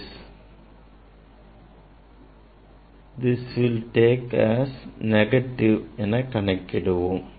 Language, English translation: Tamil, this will take as a negative